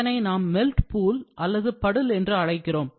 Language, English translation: Tamil, So, this is the molten, they call it as puddle, we will call it as melt pool